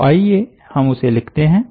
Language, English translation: Hindi, so let us write that